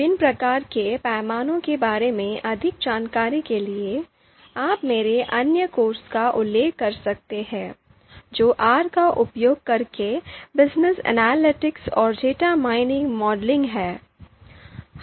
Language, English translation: Hindi, So more details on different types of scale, you can refer to my course my other course that is ‘Business Analytics and Data Mining Modeling using R’